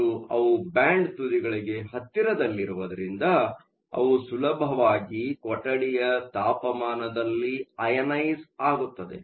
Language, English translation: Kannada, and, because they are close to the band edges, they can easily get ionized at room temperature